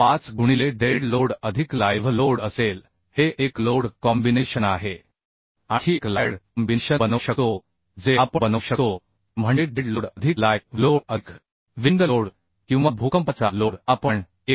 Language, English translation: Marathi, 5 into dead load plus live load this is one load combination we can make Another load combination we can make that is that dead load plus live load plus wind load or earthquake load there we are making multiplication of 1